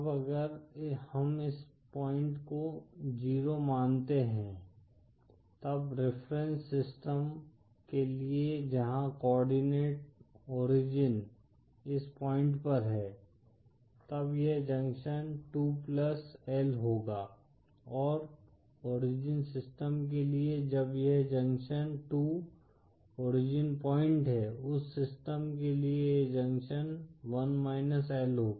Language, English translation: Hindi, Now if we consider this point to be 0, then for reference system where a coordinate origin is at this point, then this junction 2 will be + L & for origin system when this junction 2 is the origin point for that system this junction1 will be –L